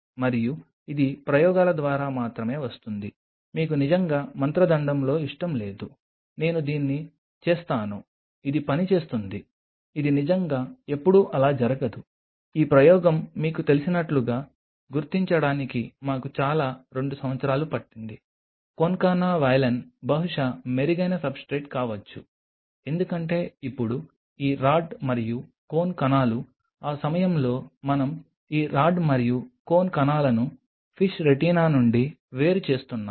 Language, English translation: Telugu, And this only comes via experiments you really do not have any like in a magic wand I do this it is going to work it really never happens like that, like this experiment took us quite a couple of years to figure out that you know is the concana valine maybe a better substrate because now these rod and cone cells what at that time we are isolating this rod and cone cells from the fish retina